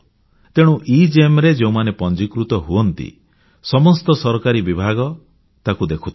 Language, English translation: Odia, So, when people register in EGEM, all the government departments become aware of them